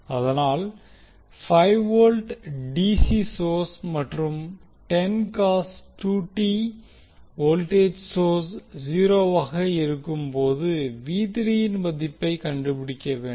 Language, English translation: Tamil, So, we need to find out the value of V3 when the 5 volt DC and 10 cos 2 t voltage sources are set to 0